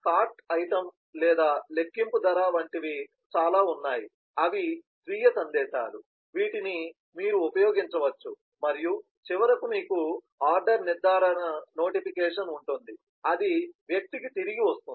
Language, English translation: Telugu, there are several like cart item or calculate price, which are self message, which you can use and then finally you have the order confirmation notification that comes back to the person